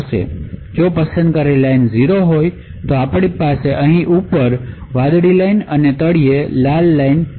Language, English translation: Gujarati, If the select line is 0 then we have the blue line on top over here and the red line at the bottom